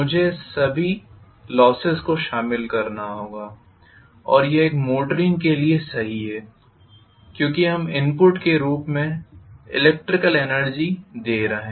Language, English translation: Hindi, I have to include all the losses and this is true for a motor because we are giving electrical energy as the input